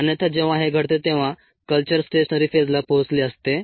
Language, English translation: Marathi, otherswise the culture would have re stationary phase